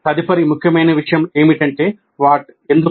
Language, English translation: Telugu, The next important point is why